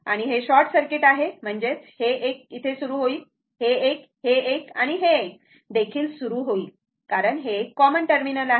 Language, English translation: Marathi, And as it is a short circuit, means this is this start this one, this one, this one, this one, everything is a common terminal